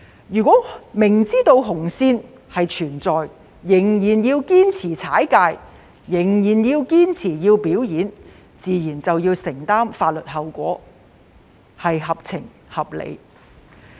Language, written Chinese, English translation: Cantonese, 如果明知紅線存在，仍然堅持逾越、堅持表演，自然要承擔法律後果，這也合情合理。, If people are aware of this red line and still insist on crossing it by putting on a show it is reasonable that they will have to bear legal consequences